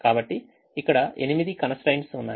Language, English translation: Telugu, so there are eight constraints here